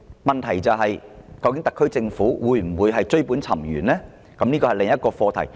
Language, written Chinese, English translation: Cantonese, 問題是特區政府究竟會否追本溯源，這是需要探討的另一課題。, The question is that whether efforts would be made by the SAR Government to get to the root of the problem and this is another issue that we should explore